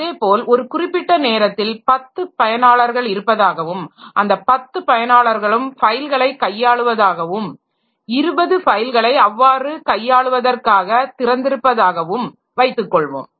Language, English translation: Tamil, Similarly, maybe at some point of time there are 10 users and 10 users are doing manipulations on files and they have opened say 20 files for manipulation